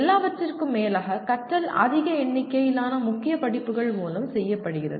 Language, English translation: Tamil, After all, much of the learning is done through a large number of core courses